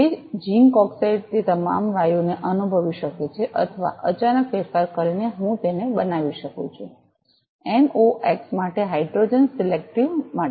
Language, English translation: Gujarati, The same zinc oxide it can sense all the gases or by sudden modification, I can make it, selective for hydrogen selective for NOx